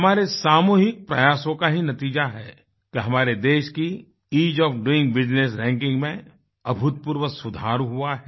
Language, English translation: Hindi, It is due to our collective efforts that our country has seen unprecedented improvement in the 'Ease of doing business' rankings